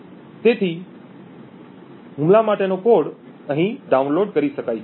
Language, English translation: Gujarati, So, the code for the attack can be downloaded, thank you